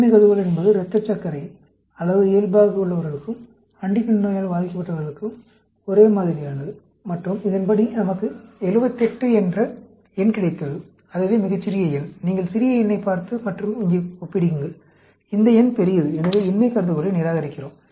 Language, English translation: Tamil, The null hypothesis is the blood glucose level is the same for the control as well as those suffering from Huntington disease, and as per this, we got a number of 78, that is the smallest number, and when you look at the smallest number and compare it here, this number is larger, so, we reject the null hypothesis